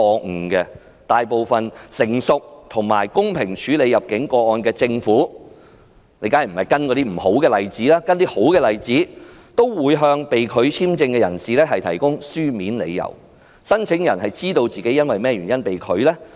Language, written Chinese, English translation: Cantonese, 事實上，大部分成熟及公平處理入境個案的政府——當然不要跟隨不好的做法而是好的做法——都會向被拒簽證的人士提供書面理由，讓他知道自己因甚麼原因被拒入境。, As a matter of fact for most governments that have a mature and fair system for handling immigration cases―of course we should follow good practices but not bad ones―they will provide reasons in writing for refusal to grant entry visas so that the person concerned will know why his entry is denied